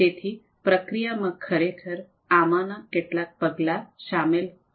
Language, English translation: Gujarati, So, the process would actually involve some of these steps